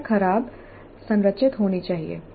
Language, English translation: Hindi, The problem should be ill structure